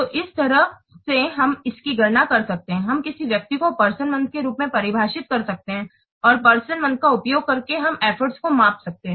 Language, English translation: Hindi, So here in this way we can calculate this what person we can define person month and using person month we can define we can measure effort